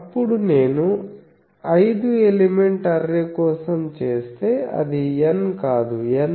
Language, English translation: Telugu, Then if I do for a five element array, N is equal to again it is not N, N plus 1 is equal to 5